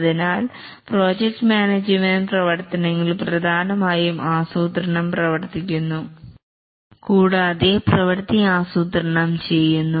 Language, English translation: Malayalam, So the project management activities essentially consists of planning the work and working the plan